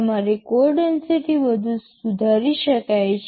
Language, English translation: Gujarati, Yyour code density can further improve right